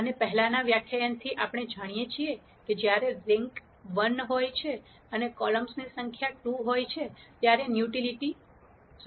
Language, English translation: Gujarati, And from the previous lecture we know that when the rank is 1 and the number of columns are 2 the nullity is 1